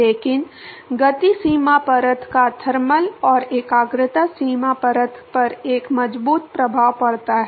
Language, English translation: Hindi, But the momentum boundary layer they have a strong effect on the thermal and the concentration boundary layer